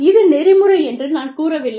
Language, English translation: Tamil, I am not saying, it is ethical